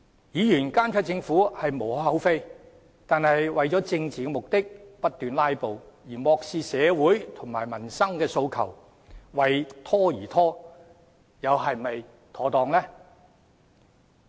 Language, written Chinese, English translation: Cantonese, 議員監察政府無可厚非，但為了政治目的，不斷"拉布"，漠視社會及民生訴求，為拖而拖，做法又是否妥當呢？, While it gives no cause for criticisms for Members to monitor the Government is it proper for Members to keep on filibustering for political aims turning a blind eye to social aspirations and those relating to peoples livelihood and procrastinating for the sake of procrastination?